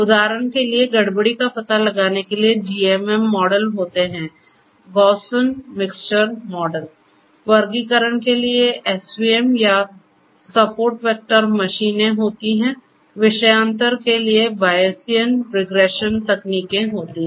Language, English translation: Hindi, For example, for anomaly detection GMM models are there – Gaussian Mixture Models, for classification SVM or Support Vector Machines are there, for digression Bayesian regression techniques are there